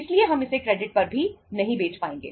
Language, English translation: Hindi, So we would not be able to sell it even on credit